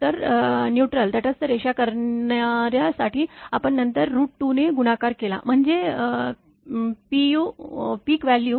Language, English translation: Marathi, So, line to neutral you made then multiplying by root 2; that means, the peak value